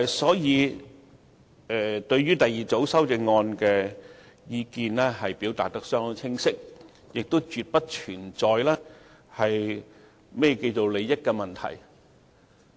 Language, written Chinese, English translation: Cantonese, 所以，我們對於第二組修正案的意見已表達得相當清晰，亦絕不存在利益衝突的問題。, We thus have clearly expressed our opinions on the second group of amendment and a conflict of interest absolutely does not exist